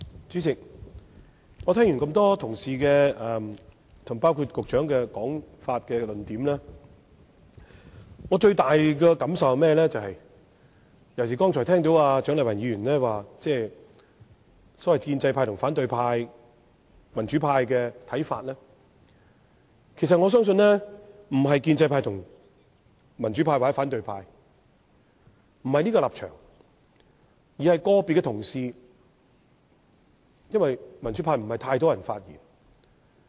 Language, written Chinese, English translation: Cantonese, 主席，聽罷這麼多位議員及局長的發言和論點，尤其是蔣麗芸議員剛才提到所謂建制派及反對派或民主派的看法，我最大的感受是，我相信問題並不關於建制派及民主派或反對派的立場，而是個別議員的看法，因為也沒有太多民主派議員發言。, President after listening to the speeches and arguments of a number of Members and the Secretary especially the points of view of the pro - establishment camp and the opposition camp or the democratic camp as mentioned by Dr CHIANG Lai - wan I strongly feel that the problem does not lie in the standpoint of the pro - establishment camp and the democratic camp or the opposition camp but in the viewpoint of individual Members . Not a lot of Members from the democratic camp have spoken anyway